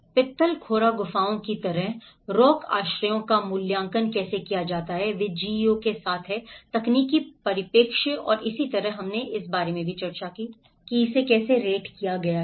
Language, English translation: Hindi, Like Pitalkhora caves, the rock shelters how they have been assessed with the GEO technological perspective and similarly, we also discussed about, How it has been rated